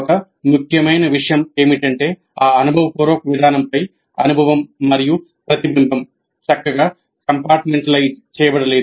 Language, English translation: Telugu, One of the major points is that experience and reflection on that experience cannot be neatly compartmentalized